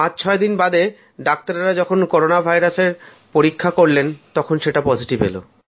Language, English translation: Bengali, After 4 or 5 days, doctors conducted a test for Corona virus